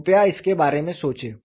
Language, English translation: Hindi, Please think about it